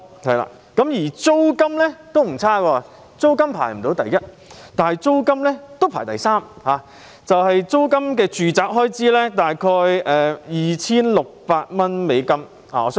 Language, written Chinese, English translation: Cantonese, 租金方面，雖然香港並非位居首位，但也排第三位，每月的住宅租金開支約 2,600 美元。, In the highest rent list Hong Kong does not take the first place but still comes third with an average monthly residential rent of around US2,600